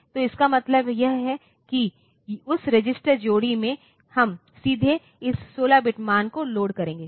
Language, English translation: Hindi, So, it means that so, in that register pair we will we will load this 16 bit value directly